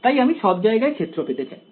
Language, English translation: Bengali, So, I want to find the field everywhere